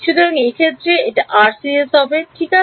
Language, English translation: Bengali, So, in this case it will be RCS rights